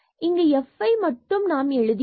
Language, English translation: Tamil, So, we have written just this f